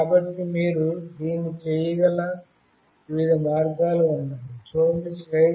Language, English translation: Telugu, So, there are variety of ways you can do it